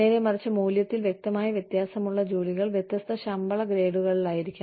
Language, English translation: Malayalam, And conversely, jobs that clearly differ in value, should be in different pay grades